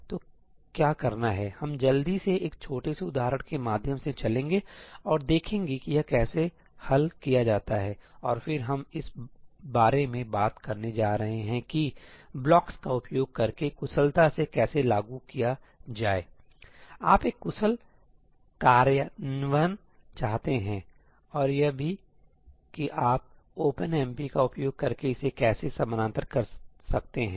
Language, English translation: Hindi, So, what will do is, we will quickly walk through a small example and see how this is solved and then we are going to talk about how to implement that efficiently using blocks , you want an efficient implementation and also how can you parallelize it using OpenMP